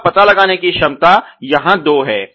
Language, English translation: Hindi, So, the detect ability is two here